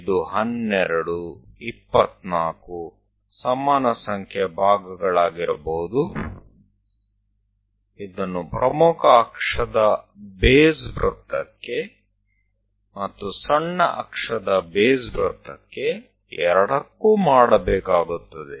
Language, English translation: Kannada, It can be 12, 24 equal number of parts one has to make it for both the major axis base circle and also minor axis base circle